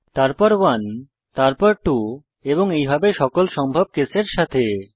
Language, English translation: Bengali, Then with 1 then with 2 and so on with all the possible cases